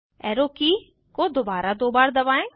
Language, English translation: Hindi, Press the up arrow key twice